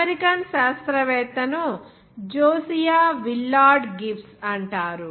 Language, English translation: Telugu, The American scientist is called Josiah Willard Gibbs